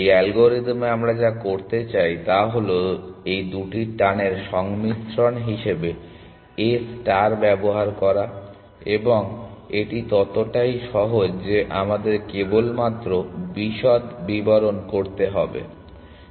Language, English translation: Bengali, What we want to do in this algorithm A star is to use a combination of these two pulls and that is as it is as simple as that we just need to fill in the details essentially